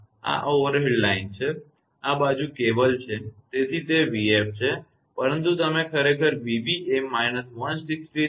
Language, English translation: Gujarati, This is overhead line, this side is cable; so it is v f, but v b you are getting actually minus 163